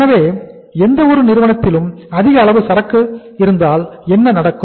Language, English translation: Tamil, So in any firm if there is a high level of inventory what will happen